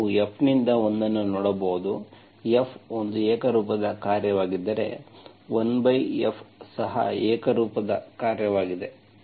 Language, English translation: Kannada, Now you can see 1 by F, if F is a homogenous function, 1 by F is also a homogenous function